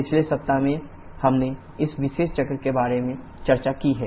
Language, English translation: Hindi, In the previous week we have discussed about this particular cycle